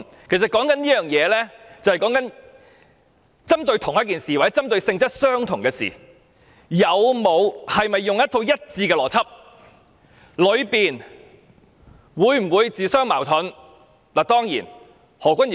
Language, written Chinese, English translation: Cantonese, 其實，這是針對相同的事情或性質相同的事情，是否使用一套一致的邏輯，以及其中有否自相矛盾而言。, Actually we were talking about whether the same set of logics was applied to matters of the same or similar nature and whether there was any contradiction in the application